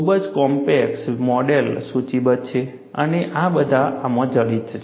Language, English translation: Gujarati, And very complex models are listed and these are all embedded in this